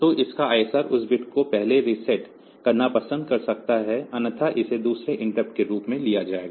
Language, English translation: Hindi, So, you may like to reset that bit first otherwise it will be taken as another interrupt